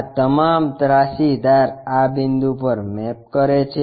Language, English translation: Gujarati, All these slant edges maps to this point